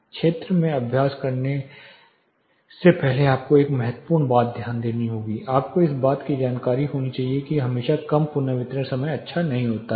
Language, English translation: Hindi, One important thing you have to notice before you practice in the field you should be aware that not always lower reverberation times are good